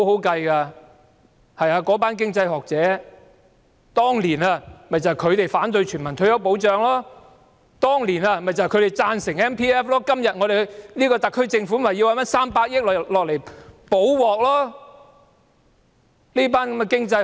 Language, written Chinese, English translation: Cantonese, 當年，便是那群經濟學學者反對全民退休保障；當年，便是他們贊成強制性公積金計劃，以致今天特區政府要拿出300億元"補鑊"。, Back in those year it was the same group of academics who objected universal retirement protection; it was them who supported the Mandatory Provident Fund Scheme which has led to the need for the SAR Government to provide 30 billion to patch things up . These academics have been colluding with the Government